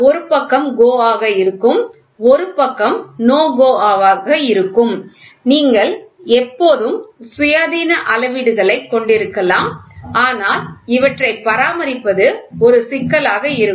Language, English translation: Tamil, So, one side will be GO one side will be no GO you can always have independent gauges, but the problem is maintaining will be a problem